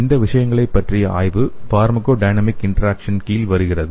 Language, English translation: Tamil, The study of these things come under the pharmacodynamic interactions